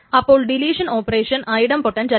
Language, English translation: Malayalam, So the deletion operation is not item potent